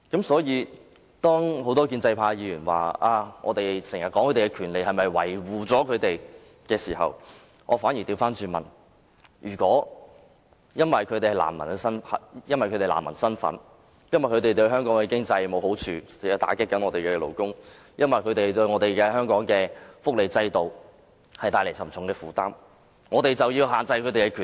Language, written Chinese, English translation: Cantonese, 因此，當很多建制派議員質疑我們談論難民權利是為了維護他們的時候，我便要反過來問：是否因為他們具有難民的身份，對香港經濟沒有好處，會打擊本地勞工，對香港福利制度帶來沉重負擔，我們便要限制他們的權利？, Hence when many pro - establishment Members query that our aim for talking about the rights of refugees is to cover up for non - refoulement claimants I have to ask conversely whether it is due to their status as refugees and the fact that this will do no good to the economy of Hong Kong will deal a blow to local workers and create a heavy burden on the welfare system of Hong Kong that a limitation should be imposed on the rights they entitled?